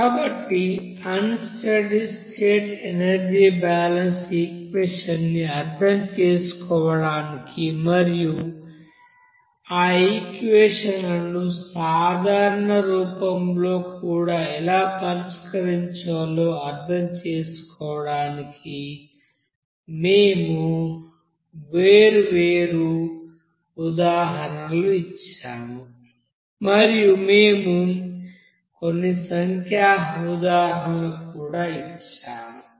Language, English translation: Telugu, So we have given different, you know examples to understand the unsteady state energy balance equation and how to solve those equations even in general form and also we have given some examples numerically